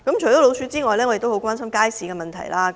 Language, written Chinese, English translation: Cantonese, 除了鼠患外，我也十分關注街市的問題。, Apart from rodent infestation I am also very concerned about public markets